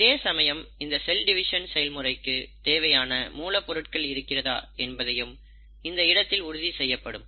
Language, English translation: Tamil, And of course, it makes sure that there is a sufficient amount of raw material available for the actual process of cell division